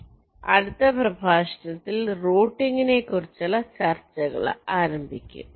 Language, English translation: Malayalam, so in the next lecture we shall be starting our discussions on routing